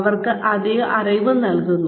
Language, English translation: Malayalam, They are given additional knowledge